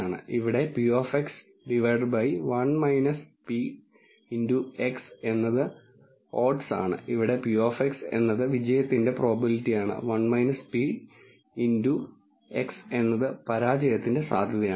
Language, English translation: Malayalam, Here p of x by 1 minus p of x is the odds, where p of x is the probability of success in 1 minus p of x is the probability of failure